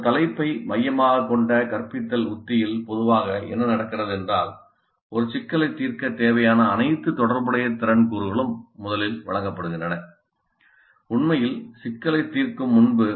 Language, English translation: Tamil, In a topic centered instructional strategy, what typically happens is that the all relevant component skills required to solve a problem are actually first presented before actually getting to solve the problem